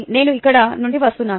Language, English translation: Telugu, and this is where i am coming from